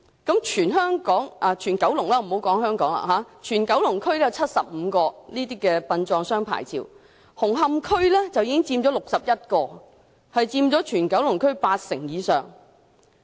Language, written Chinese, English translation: Cantonese, 在九龍區已發出的75個殯葬商牌照當中，紅磡區便有61個，佔全九龍區八成以上。, Among the 75 licensees in Kowloon 61 are located in Hung Hom representing over 80 % of the undertakers in Kowloon